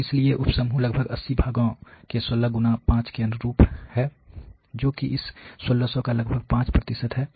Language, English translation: Hindi, So, therefore, the sub groups correspond to 16 times 5 about 80 parts which is about 5 percent of this 1600